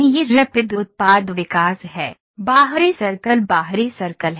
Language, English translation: Hindi, This is Rapid Product Development, the external circle the outer circle is